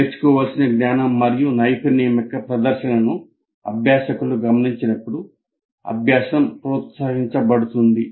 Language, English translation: Telugu, And learning is promoted when learners observe a demonstration of the knowledge and skill to be learned